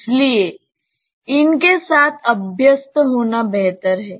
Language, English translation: Hindi, So, it is better to be habituated with these